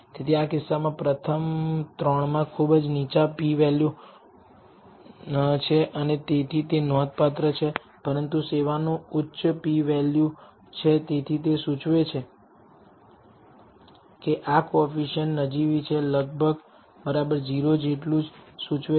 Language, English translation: Gujarati, So, in this case the first three has very low p values and therefore, they are significant, but service has a high p value therefore, it seems to indicate that this coefficient is insignificant is equal almost equal to 0 that is what this indicates